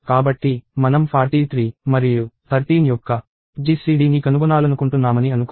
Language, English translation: Telugu, So, let us say I want to find out GCD of 43 and 13